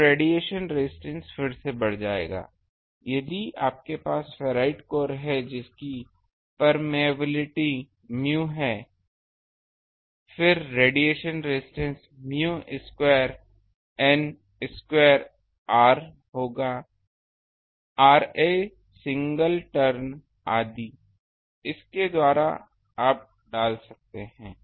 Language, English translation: Hindi, So, the radiation resistance will again increase by; so, if you have a ferrite code whose permeability is mu; then radiation resistance will be mu square N square; R a single turn etcetera by that you can put